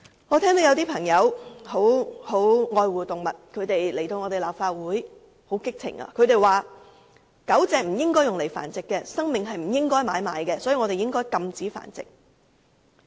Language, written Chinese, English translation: Cantonese, 有些非常愛護動物的朋友曾在立法會激動地說，狗隻不應該被用來繁殖，生命不應該用來買賣，所以我們應該禁止繁殖。, Some animal - loving people once came to this Council saying emotionally that dogs should not be used for breeding and life was not meant for trading so breeding activities should be banned